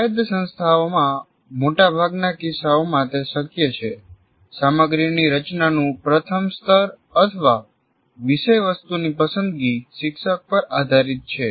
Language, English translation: Gujarati, But it is possible in most of the cases in autonomous institutions, the first level of design of content or the choice of the contents rests with the teacher